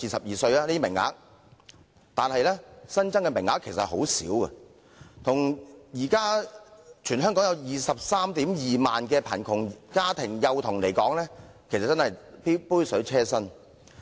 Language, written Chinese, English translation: Cantonese, 然而，新增名額其實很少，相對於現時全港達 232,000 萬名貧窮家庭幼童來說，只是杯水車薪。, However the additional places are very limited and are only a drop in the bucket as there are 232 000 children from needy families in Hong Kong